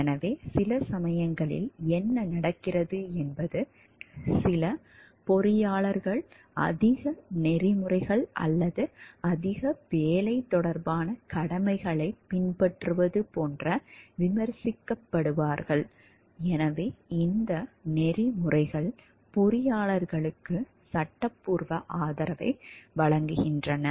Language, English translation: Tamil, So, sometimes what happen some engineers get criticized like being too much ethical or too like following too much of work related obligations, so these codes of ethics gives a legal support for the engineers